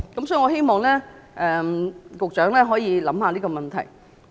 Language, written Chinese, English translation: Cantonese, 所以，我希望局長會考慮這個問題。, Hence I hope that the Secretary will consider this issue